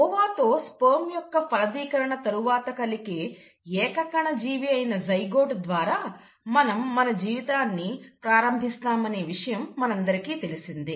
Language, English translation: Telugu, Now we all know that we start our life as a single celled organism that is the zygote and this happens after the fertilization of sperm with the ova